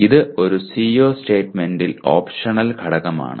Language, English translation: Malayalam, This is an optional element of a CO statement